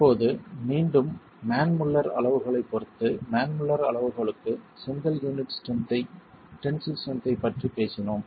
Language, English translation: Tamil, Now again with respect to the manmuller criterion, for the manmuller criterion, we were talking of the tensile strength of the brick unit